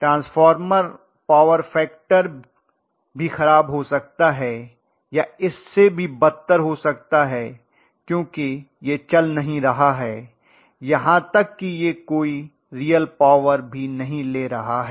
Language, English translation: Hindi, Transformer power factor could also be as bad or even worse because it is not even running, it is not even getting any real power developed